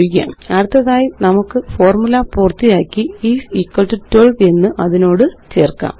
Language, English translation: Malayalam, Next let us complete the formula and add is equal to 12 to it